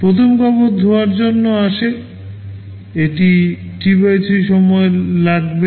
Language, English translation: Bengali, The first cloth comes for washing, this will be taking T/3 time